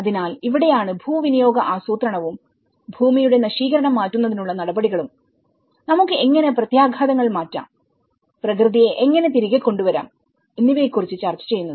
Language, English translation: Malayalam, So, this is where the land use planning and measures to reverse the land degradation, you know how we can reverse the impacts and how we can bring back the nature